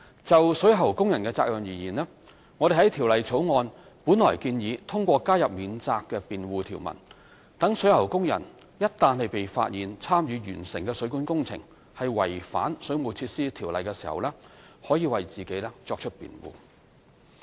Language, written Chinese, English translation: Cantonese, 就水喉工人的責任而言，我們本來在《條例草案》建議通過加入免責辯護條文，讓水喉工人一旦被發現參與完成的水管工程違反《水務設施條例》時，可為自己作出辯護。, As regards the responsibilities of plumbing workers we originally proposed adding a defence provision in the Bill so that plumbing workers might defend themselves if the plumbing works they engaged in were found to contravene the Waterworks Ordinance